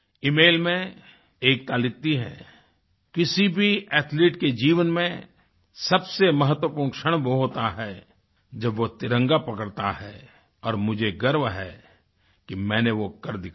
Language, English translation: Hindi, Ekta in her email writes 'The most important moment in the life of any athlete is that when he or she holds the tricolor and I am proud that I could do that